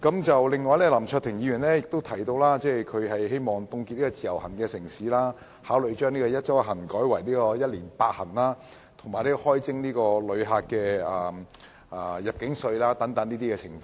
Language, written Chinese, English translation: Cantonese, 此外，林卓廷議員提及，他希望當局凍結"自由行"城市數目，考慮將"一周一行"改為"一年八行"，以及開徵旅客入境稅等。, Mr LAM Cheuk - ting said that he hoped the authorities would freeze the number of cities participating in the Individual Visit Scheme consider changing one trip per week endorsements into eight trips per year endorsements introduce an arrival tax for visitors and so on